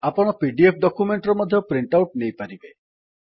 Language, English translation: Odia, You can also take a print out of your pdf document